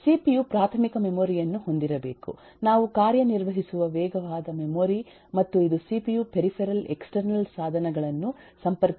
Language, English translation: Kannada, the cpu must have eh primary memory, the fast memory through which we operate, and eh it has busses that will connect to the peripheral external devices of the cpu